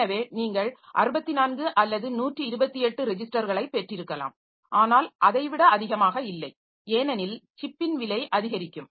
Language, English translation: Tamil, So, you can have say 64 or 128 registers but not more than that because the cost of the chip will be going up